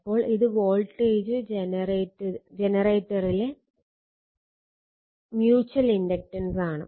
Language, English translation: Malayalam, So, mutual inductance and voltage generator